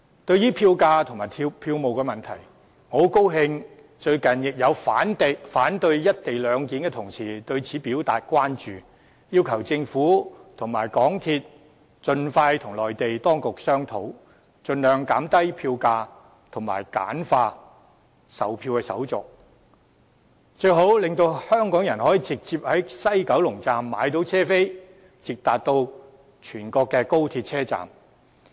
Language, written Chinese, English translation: Cantonese, 對於票價和票務問題，我很高興近日亦有反對"一地兩檢"的同事對此表達關注，要求政府和香港鐵路有限公司盡快與內地當局商討，盡量減低票價和簡化售票手續，最好能讓香港人可以直接在西九龍站購買車票，直達全國高鐵車站。, In respect of fare levels and ticketing I am glad that some Honourable colleagues who oppose the co - location arrangement too have expressed their concern over those issues recently calling on the Government and the MTR Corporation Limited MTRCL to expeditiously negotiate to the best of their ability with the Mainland authorities with a view to reducing fares and simplifying ticketing procedures . Preferably Hong Kong people should be allowed to directly buy tickets at WKS for trains heading direct to the various high - speed rail stops throughout the country